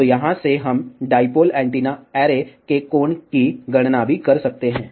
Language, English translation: Hindi, So, from here, we can also calculate the angle of the dipole antenna array